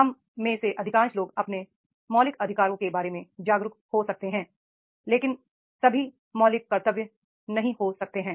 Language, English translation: Hindi, Most of us may be aware about our fundamental rights but may not be the fundamental, all fundamental duties, right